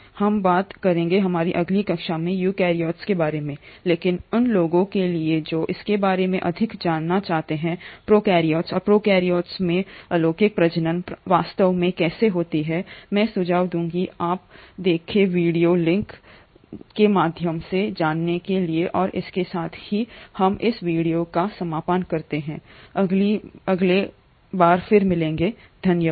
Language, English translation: Hindi, We will talk about the eukaryotes in our next class, but for those who are interested to know more about prokaryotes and how the asexual reproduction in prokaryotes really happens, I would suggest you to go through the 2 suggested video links and with that we conclude this video and we will meet again in the next one, thank you